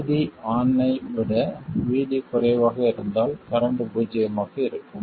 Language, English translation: Tamil, 0, if VD is less than VD on, the current will be zero